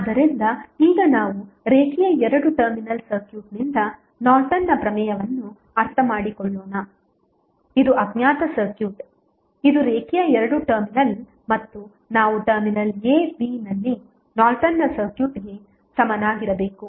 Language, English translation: Kannada, So, now let us understand the Norton's Theorem from the linear two terminal circuit this is unknown circuit which is linear two terminal and we need to find out the Norton's equivalent of the circuit at terminal a, b